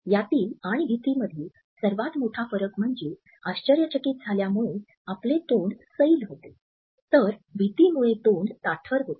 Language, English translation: Marathi, The biggest difference between this and fear is that surprise causes your mouth to be loose, while fear the mouth is tensed